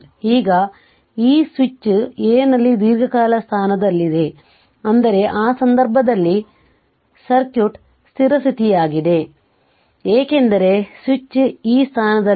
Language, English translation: Kannada, Now, this switch was at position for long time at A right, that means that means circuit at the time for that case circuit was a steady state, because, switch was at this position